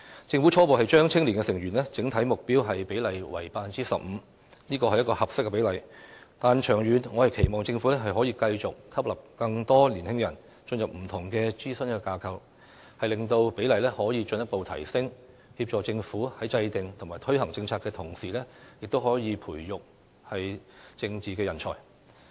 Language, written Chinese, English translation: Cantonese, 政府初步將青年委員的整體目標比例定為 15%， 這是一個合適的比例，但長遠而言，我期望政府繼續吸納更多年輕人進入不同的諮詢架構，令有關比例進一步提升，協助政府在制訂及推行政策的同時，亦可培育政治人才。, As a first step the Government has set the overall target ratio of youth members at 15 % . This is an appropriate ratio but in the long term I hope that the Government will further increase the ratio by including more young people in different advisory bodies on a continuous basis . In doing so the Government can nurture political talent while getting assistance in policy formulation and implementation